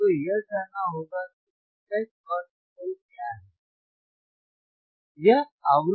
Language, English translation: Hindi, yYou have to find what is fH and what is f fL, right